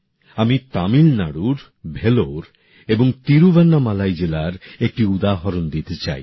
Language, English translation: Bengali, Take a look at Vellore and Thiruvannamalai districts of Tamilnadu, whose example I wish to cite